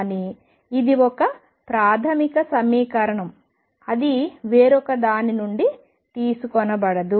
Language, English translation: Telugu, And therefore, it is a fundamental equation